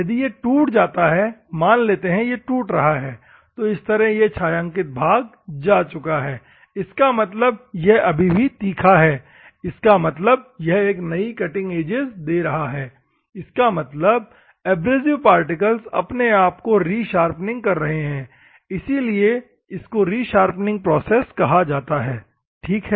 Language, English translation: Hindi, If the, it breaks, assume that this is breaking, like this particular thing is gone the shaded portion is gone; that means, still it is sharp; that means, it is giving a new cutting edge; that means, the abrasive particle is re sharpening about itself it is, that’s why it is called self re sharpening process, ok